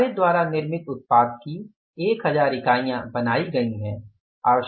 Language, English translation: Hindi, It is 1,000 units of the finished product we have manufactured